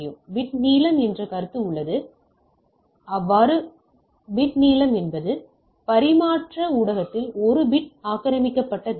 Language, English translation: Tamil, There is a concept of bit length, the bit length is the distance of 1 bit occupies in the transmission medium right